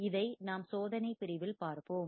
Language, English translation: Tamil, And this we will see in the experimental section